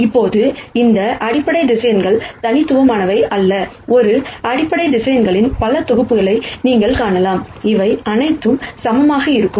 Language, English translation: Tamil, Now it turns out these basis vectors are not unique, you can find many many sets of a basis vectors, all of which would be equivalent